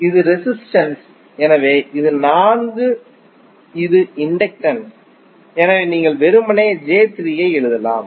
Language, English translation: Tamil, This is resistance, so this is 4, this is inductance so you can just simply write j3